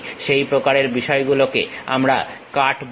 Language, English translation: Bengali, That kind of thing what we call cut